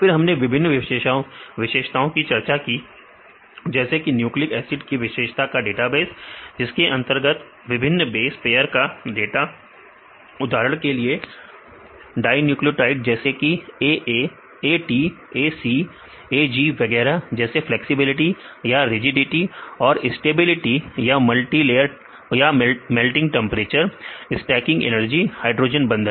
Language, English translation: Hindi, Then we discussed about different properties like nucleic acid property database which contains data for the different base pairs for example, the dinucleotides for example, AA, AT, AC, AG and so on like the flexibility or the rigidity and the stability melting temperature the stacking energy hydrogen bonds